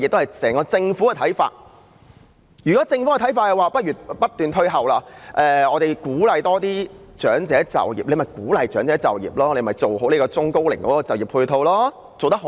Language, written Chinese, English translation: Cantonese, 如果政府的看法是不如推遲退休年齡，鼓勵長者就業，那便去鼓勵長者就業，做好對中高齡就業的配套，但這方面做得好嗎？, If it is the intention of the Government to extend the retirement age to promote elderly employment it may go ahead offering adequate employment support for the elderly and middle - aged . But have they done their part in this regard?